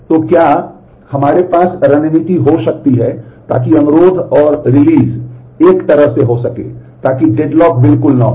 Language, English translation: Hindi, So, can we have strategies so that the requests and releases are done in a way, so that the deadlock will not happen at all